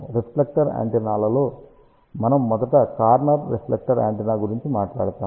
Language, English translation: Telugu, In reflector antennas we will first talk about corner reflector antenna